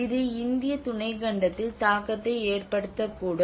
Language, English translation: Tamil, It may have impact in the Indian subcontinent